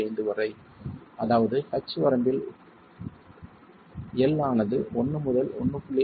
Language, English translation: Tamil, 5, I mean in the range of H by L 1 to 1